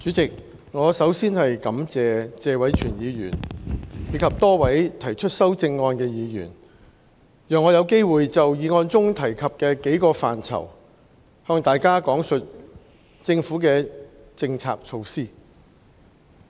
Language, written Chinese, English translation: Cantonese, 代理主席，我首先感謝謝偉銓議員及多位提出修正案的議員，讓我有機會就議案中提及的幾個範疇，向大家講述政府的政策措施。, Deputy President first of all I would like to thank Mr Tony TSE and those Members who have put forth amendments for they have given me the chance to expound to all of you the Governments policy measures with regard to several areas mentioned in the motion